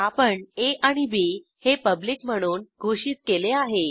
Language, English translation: Marathi, Then we have a and b declared as public